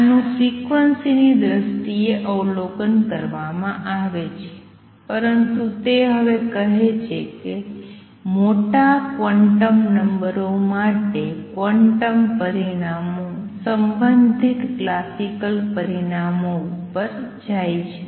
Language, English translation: Gujarati, This is observed in terms of frequency, but he is saying now that for large quantum numbers quantum results go over to the corresponding classical results